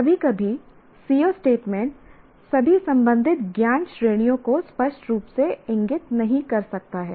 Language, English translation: Hindi, Sometimes the CO statement may not explicitly indicate all the concerned knowledge categories